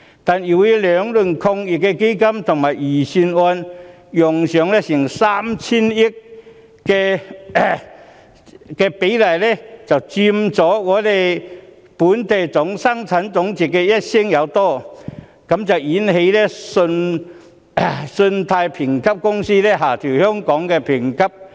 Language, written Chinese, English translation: Cantonese, 兩輪防疫抗疫基金及預算案紓困措施共動用約 3,000 億元，佔本地生產總值超過一成，因而引起信貸評級公司下調香港的評級。, Two rounds of the Anti - epidemic Fund and the relief measures in the Budget will amount to some 300 billion accounting for more than 10 % of the Gross Domestic Product . Consequently the credit rating agencies has downgraded Hong Kongs rating